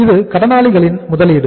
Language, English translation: Tamil, This is the investment in the debtors